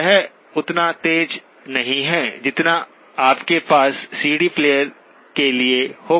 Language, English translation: Hindi, It is not as sharp as what you would have for a CD player